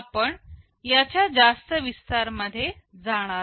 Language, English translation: Marathi, We are not going into too much detail of this